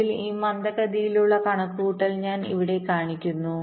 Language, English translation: Malayalam, so i am showing this slack computation here now